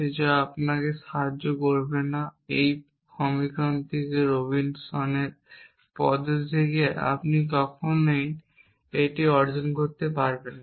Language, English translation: Bengali, There are so many of them it is not going to help you can never derive this from this equation that Robinson’s method